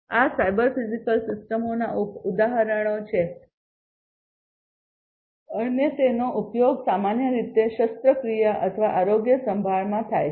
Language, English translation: Gujarati, These are examples of cyber physical systems and they are used in surgery or healthcare, in general